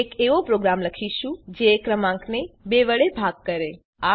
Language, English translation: Gujarati, We shall write a program that divides a number by 2